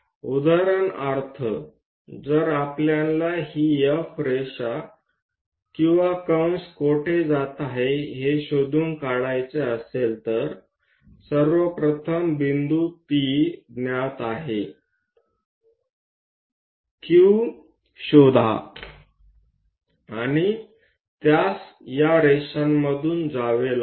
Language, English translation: Marathi, So, for example, if I want to figure it out where this F line or arc might be going; first of all P point is known, locate Q, and it has to pass through these lines